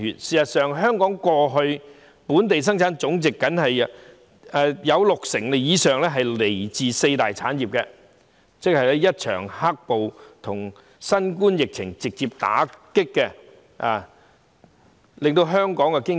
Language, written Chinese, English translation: Cantonese, 事實上，過去香港的本地生產總值有六成以上來自四大產業，但一場"黑暴"及新冠疫情直接打擊和重創香港經濟。, In fact in the past over 60 % of Hong Kongs GDP came from four major industries but the black - clad violence and the COVID - 19 epidemic have directly hit and devastated the Hong Kong economy